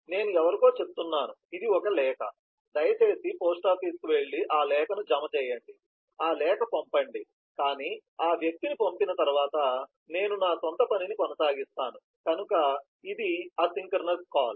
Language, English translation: Telugu, i tell somebody, this is the letter, please go to the post office and deposit that letter, send that letter, but after sending that person, i continue with my own work, so that is an asynchronous call